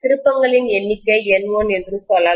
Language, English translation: Tamil, Let us say the number of turns is N1, okay